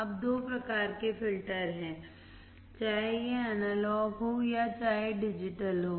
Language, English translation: Hindi, Now, there are two types of filter based on whether it is analog or whether it is digital